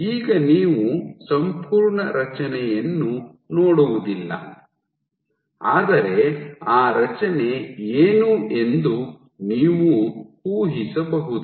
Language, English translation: Kannada, So, now you do not see the entire structure, but you can guess what that structure is